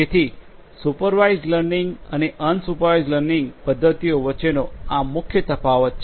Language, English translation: Gujarati, So, this is the main difference between the supervised and the unsupervised learning methods